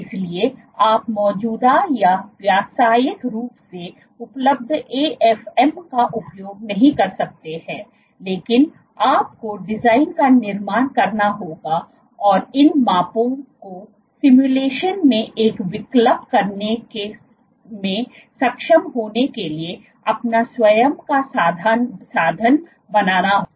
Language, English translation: Hindi, So, you cannot use existing or commercially available AFM, but you have to manufacture design and make your own instrument to be able to do these measurements one alternative in simulations